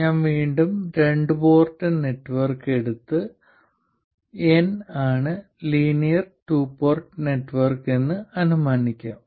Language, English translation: Malayalam, So let me again take a two port network and let me assume that N is a linear two port network